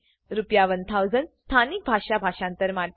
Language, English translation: Gujarati, 1,000 for translation into a local language Rs